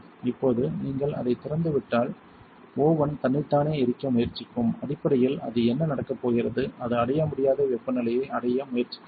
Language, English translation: Tamil, Now if you leave it open the oven is going to try to burn itself out, basically what it is going to happen is it is going to try to reach the temperature that it cannot reach